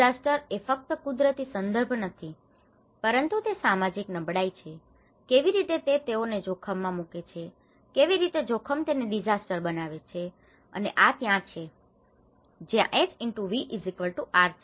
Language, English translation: Gujarati, Disaster is not just a natural context, but it is the social vulnerability, how it puts them into the risk, how hazard makes them into a disaster and that is where the H*V=R